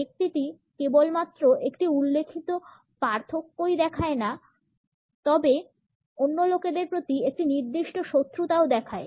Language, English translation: Bengali, The person shows not only a noted in difference, but also a definite hostility to other people